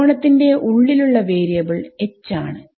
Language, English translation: Malayalam, So, H s and inside the triangle the variable is H